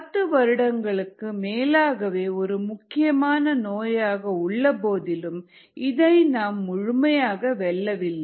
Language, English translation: Tamil, it is been an important disease for a very long time, decades may be, and still it is not been completely conquered